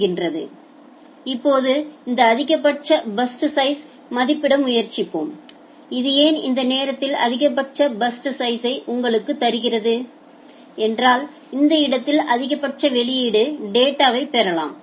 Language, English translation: Tamil, Now let us try to estimate this maximum burst size, why this will give you maximum burst size at this point you can get the maximum output data